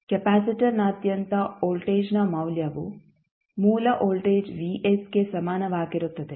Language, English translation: Kannada, The value of voltage across capacitor would be equal to the voltage vs that is the source voltage